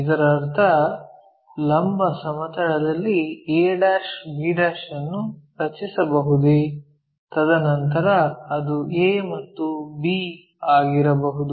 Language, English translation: Kannada, That means, can we draw on the vertical plane the a', b', and then project it maybe a and b